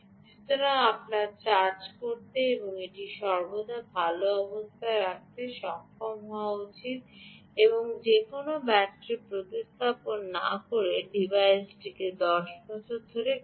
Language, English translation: Bengali, so, ah, you should be able to charge and keep it always in a good condition, that such that the device works for ten years without replacing any battery